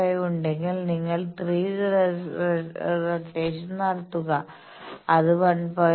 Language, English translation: Malayalam, 5 you make 3 rotations that will be 1